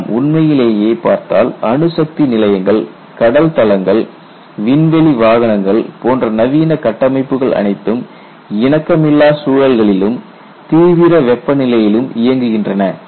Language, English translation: Tamil, And if you really look at the modern structures such as nuclear plants, offshore platforms, space vehicles etcetera they often operate in hostile environments and at extreme temperatures